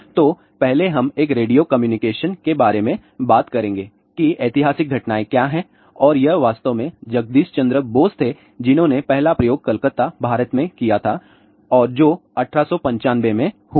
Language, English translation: Hindi, So, first we will talk about a radio communication what are the historical events and it was actually Jagadish Chandra Bose who did the first experiment demonstrated in Calcutta, India and that was in 1895